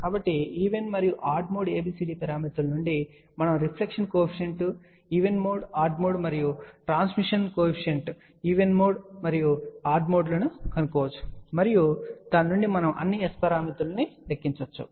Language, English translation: Telugu, So, from even and odd mode ABCD parameters we can find out reflection coefficient even mode odd mode and transmission coefficient even mode and odd mode and from that we can calculate all the S parameters